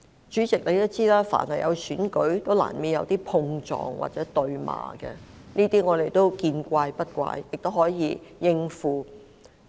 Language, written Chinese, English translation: Cantonese, 主席也知道，每逢選舉也難免會出現碰撞或對罵的情況，我們對此都見怪不怪，亦可以應付。, As the President is aware physical scuffles or political bickering are common during elections and we are prepared to see and handle such things